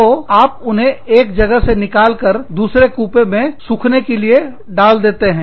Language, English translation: Hindi, So, you took them out, and you put them in the other compartment, to dry